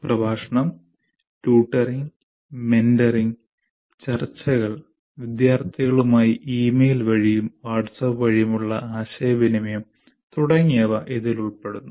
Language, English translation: Malayalam, These include lecturing, tutoring, mentoring, leading discussions, communicating with students by email, WhatsApp, etc